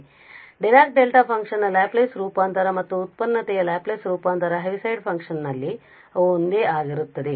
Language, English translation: Kannada, So, the Laplace transform of the Dirac Delta function and the Laplace transform of the derivative of the Heaviside function they are the same